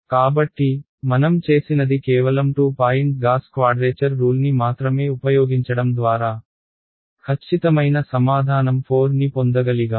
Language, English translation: Telugu, So, let us observe that what we did is by using only at 2 point Gauss quadrature rule, I was able to get the exact answer 4 right